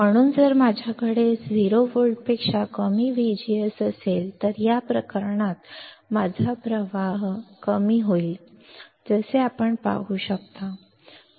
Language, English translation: Marathi, So, if I have V G S less than 0 volt, in this case my current will start decreasing, as you can see